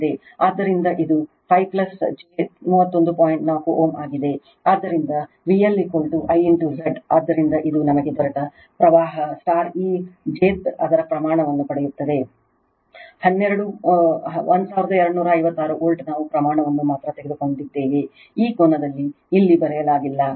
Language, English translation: Kannada, So, V L is equal to I into your Z, so this is 40 is the current we have got into this jth you will get its magnitude it 12 your 1256 volt we have taken magnitude only that your what you call this an angle is not written here right